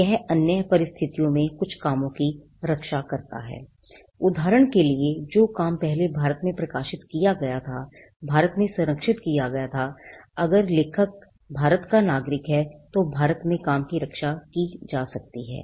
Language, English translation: Hindi, It also protects certain works in other conditions for instant example the work was first published in India, can be protected in India and if the author is a citizen of India the work can be protected in India as well